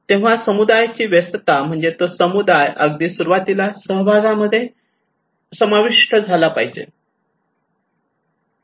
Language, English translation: Marathi, So early engagement of the community it means that community should be involved from the very beginning of the participations